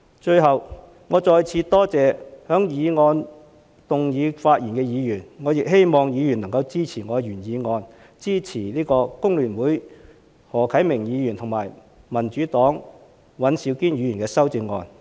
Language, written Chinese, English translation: Cantonese, 最後，我再次多謝就議案發言的議員，我亦希望議員能夠支持我的原議案，支持工聯會的何啟明議員和民主黨的尹兆堅議員的修正案。, Last of all I would like to once again thank Members who have spoken on the motion and hope that Members will support my original motion as well as the amendments proposed by Mr HO Kai - ming of FTU and Mr Andrew WAN of the Democratic Party